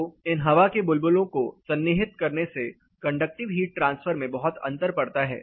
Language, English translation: Hindi, So, these particular air bubbles embedding them makes a lot of difference in the conductive heat transfer